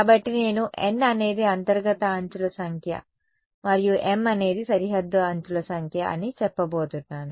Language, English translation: Telugu, So, I am going to say n is the number of interior edges and m is the number of boundary edges ok